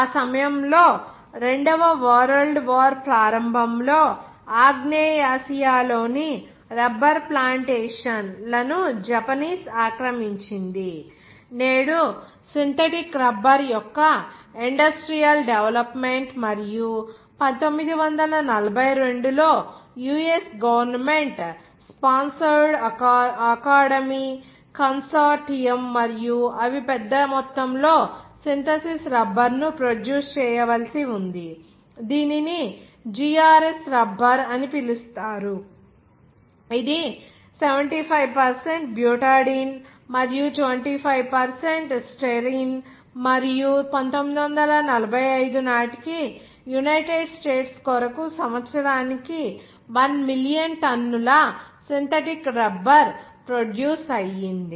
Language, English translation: Telugu, At that period the Japanese conquest of the rubber plantation of southeast Asia of the start of 2nd world war necessity, today industrial development of the synthetic rubber and in 1942 US government sponsored academy consortium and also they are the set out was required to produce large amounts of synthesis rubber it is called GRS rubber which is mixture of 75% of butadiene and 25% styrene and by 1945 for the United States was producing around 1 million tones of synthetic rubber annually